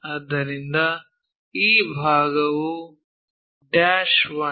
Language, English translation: Kannada, So, this part dash 1